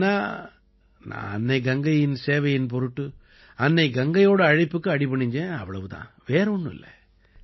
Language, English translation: Tamil, Otherwise, we have been called by Mother Ganga to serve Mother Ganga, that's all, nothing else